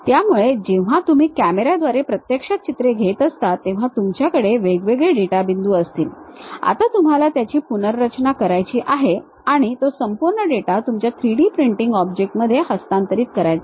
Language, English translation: Marathi, So, when you are actually taking pictures through cameras, you will be having isolated data points now you want to reconstruct it and transfer that entire data to your 3D printing object